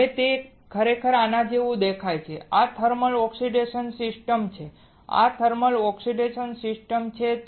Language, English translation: Gujarati, Now this is how it actually looks like, this is the thermal oxidation system this is the thermal oxidation system